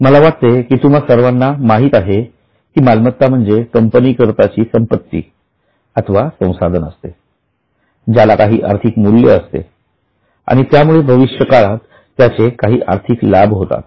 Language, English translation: Marathi, I think you all know this is something which is a property or a resource of a company which has a value and it is likely to give some probable future cash flow